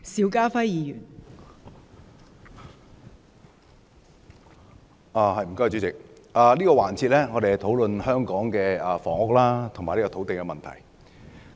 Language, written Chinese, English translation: Cantonese, 我們在這個環節是討論香港的房屋和土地問題。, We are discussing the housing and land problems of Hong Kong in this session